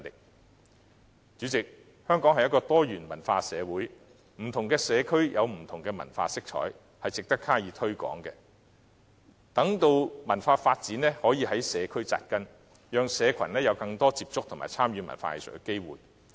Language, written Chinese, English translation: Cantonese, 代理主席，香港是一個多元文化的社會，不同的社區有不同的文化色彩，值得加以推廣，待文化發展可在社區扎根，讓市民有更多接觸和參與文化藝術的機會。, Deputy President Hong Kong is a multicultural society where different communities carry different cultural flavours . Such an aspect merits promotion so that cultural development can take root in the communities giving people more opportunities to come into contact with and participate in arts and culture